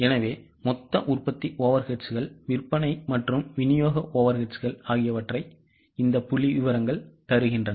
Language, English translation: Tamil, Okay, so the total over eds, production as well as selling distribution overheads are these figures